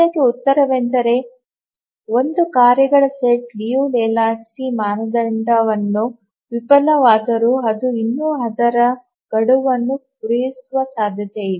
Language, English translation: Kannada, The answer to this is that even when a task set fails the Liu Lejou Lehchkis criterion, still it may be possible that it may meet its deadline